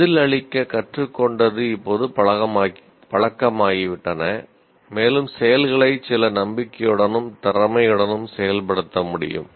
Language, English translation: Tamil, That is learned responses have become habitual and the movements can be performed with some confidence and proficiency